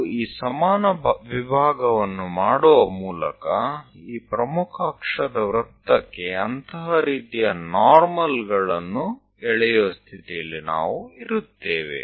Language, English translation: Kannada, Similarly, if we by making this equal division, that means, we will be in a position to really draw such kind of normals for this major axis circle